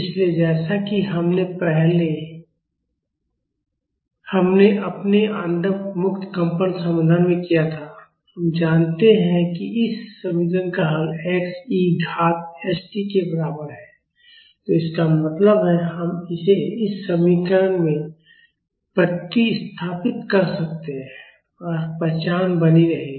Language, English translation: Hindi, So, as we did in our undamped free vibration solution, we know that this equation has a solution of the form x is equal to e to the power st, so that means, we can substitute this in this equation and the identity will hold